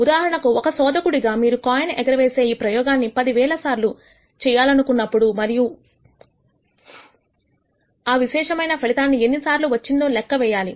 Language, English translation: Telugu, For example, as an experimentalist you might want to do the coin toss experiment let us say 10,000 times N times and then count the number of times a particular outcome is observed